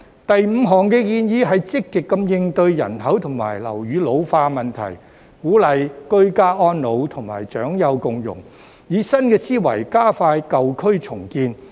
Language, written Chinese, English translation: Cantonese, 第五項建議是積極應對人口及樓宇老化的問題，鼓勵居家安老及長幼共融，以新思維加快舊區重建。, The fifth proposal is to proactively cope with the ageing population and buildings by encouraging ageing in place and inter - generational harmony as well as speeding up the redevelopment of old districts with a new mindset